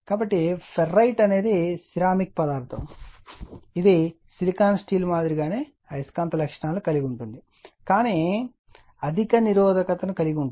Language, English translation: Telugu, So, ferrite is a ceramic material having magnetic properties similar to silicon steel, but having high resistivity